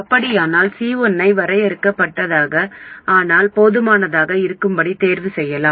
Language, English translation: Tamil, In that case we can choose C1 to be finite but large enough